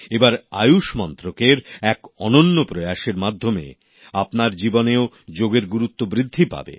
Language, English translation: Bengali, By the way, the Ministry of AYUSH has also done a unique experiment this time to increase the practice of yoga in your life